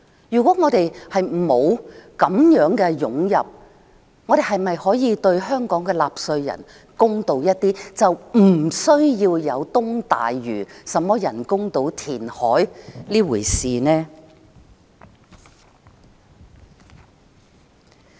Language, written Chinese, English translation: Cantonese, 如果沒有這些湧進來的人口，我們是否可以對香港的納稅人公道一點，不需要有東大嶼人工島填海這回事呢？, If there was no such influx of population could we be spared the need to reclaim land for an artificial island to the east of Lantau Island and thus be fairer to the taxpayers of Hong Kong?